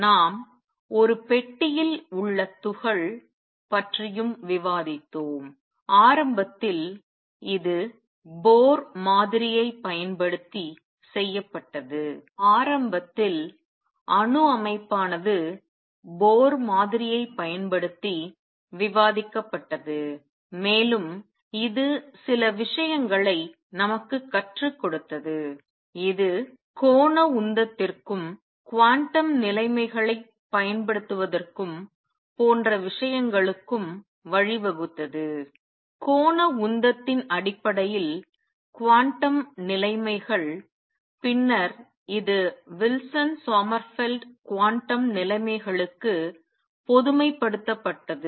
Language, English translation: Tamil, We also discussed particle in a box and initially this was done using Bohr model, initially atomic structure was discussed using Bohr model and it taught us some things it led us towards applying quantum conditions to angular momentum and things like those, it taught us to apply quantum conditions in terms of angular momentum and then this was generalized to Wilson Sommerfeld quantum conditions in terms of action being quantized